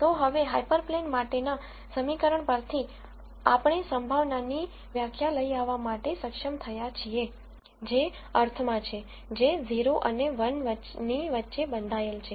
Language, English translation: Gujarati, So now, from the equation for the hyper plane, we have been able to come up with the definition of a probability, which makes sense, which is bounded between 0 and 1